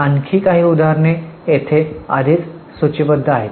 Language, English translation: Marathi, Some more examples are already listed here